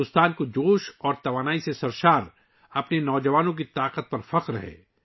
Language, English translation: Urdu, India is proud of its youth power, full of enthusiasm and energy